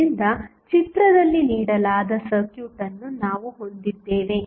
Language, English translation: Kannada, So, we have the circuit given in the figure